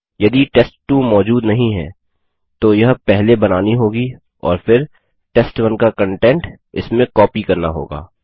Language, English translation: Hindi, If test2 doesnt exist it would be first created and then the content of test1 will be copied to it